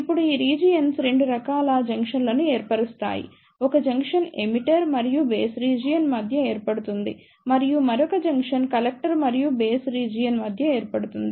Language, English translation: Telugu, Now, these regions form 2 types of junctions; one junction is formed between Emitter and Base region and another junction is formed between Collector and Base region